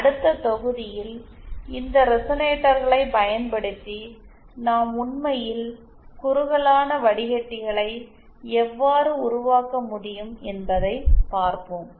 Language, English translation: Tamil, In the next module, we will see how using these resonators we can actually build the narrowband filters